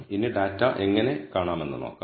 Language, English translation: Malayalam, Now let us see how to view the data